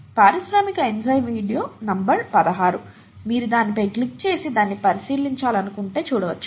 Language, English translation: Telugu, The industrial enzyme is video number 16, you might want to click on that and take a look at that